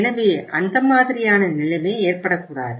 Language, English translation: Tamil, So that kind of the situation should not arise